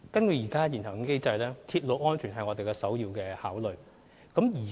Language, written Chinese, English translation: Cantonese, 根據現行機制，鐵路安全是我們首要考慮。, Railway safety always comes first under the existing mechanism